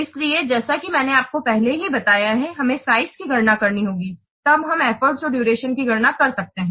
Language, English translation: Hindi, So as I have already told you, first we have to compute size, then we can compute what effort and the duration